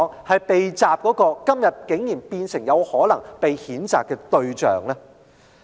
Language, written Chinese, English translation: Cantonese, 為何今天會成為有可能被譴責的對象呢？, Why would he become the target of possible censure today?